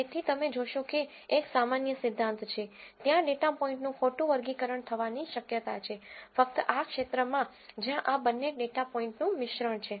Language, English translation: Gujarati, So, you will notice one general principle is, there is a possibility of data points getting misclassified, only in kind of this region where there is a mix of both of these data points